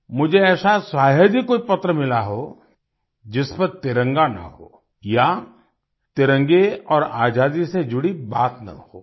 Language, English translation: Hindi, I have hardly come across any letter which does not carry the tricolor, or does not talk about the tricolor and Freedom